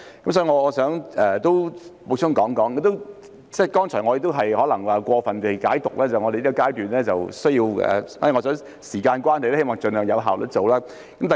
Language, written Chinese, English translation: Cantonese, 所以，我想補充，剛才也有可能是過分解讀，認為在這個階段，因為時間關係，需要盡量有效率地做。, Hence I would like to add that just now there might be over - interpretation thinking that at this stage things have to be done as efficiently as possible due to time constraint . Deputy Chairman allow me to make a brief explanation